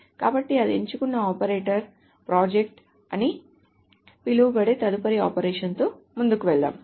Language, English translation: Telugu, Let us move ahead with the next operation which is called the project